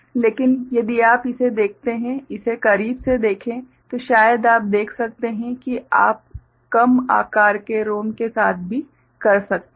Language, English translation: Hindi, But, if you look at it, look at it closely then perhaps you can see that you can do with less lesser size ROM as well ok